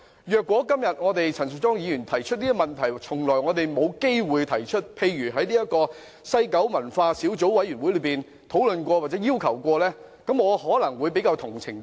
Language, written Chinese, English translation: Cantonese, 如果今天陳淑莊議員提出的問題，我們從來沒有機會提出，例如沒有在聯合小組委員會討論過，我可能會比較理解。, If Members had never had the chance to raise the questions asked by Ms Tanya CHAN today eg . if the questions had never been discussed in the Joint Subcommittee it might be easier for me to understand why some Members support the motion